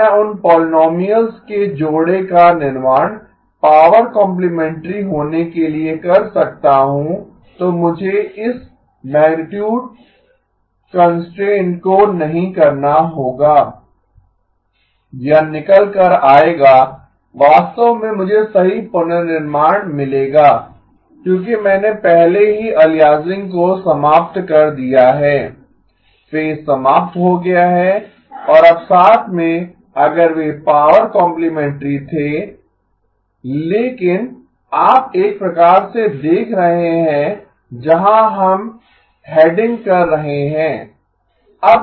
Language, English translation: Hindi, If I could construct those pair of polynomials to be power complementary then I would not have to be doing this magnitude constraint, it would come out to be in fact I would get perfect reconstruction because I have already eliminated aliasing, eliminated phase and now with if they had been power complementary but you kind of see where we are heading